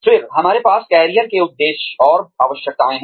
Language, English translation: Hindi, Then, we have career motives and needs